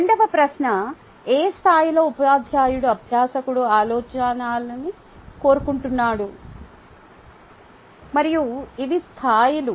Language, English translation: Telugu, question number two: in which level the teacher wants the learner to think, and these are the levels